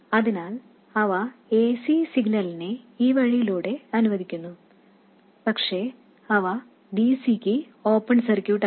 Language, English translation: Malayalam, So, they let the AC signal through this way but they are open circuits for DC